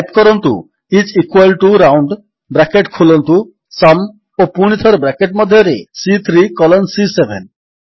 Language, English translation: Odia, Type is equal to ROUND,open brace SUM and again within braces C3 colon C7